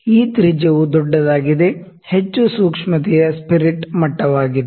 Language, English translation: Kannada, So, larger the radius the more sensitive is the spirit level